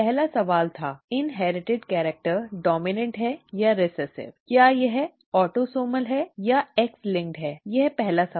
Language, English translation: Hindi, The first question was; is the inherited character dominant or recessive, is it autosomal or X linked; that is the first question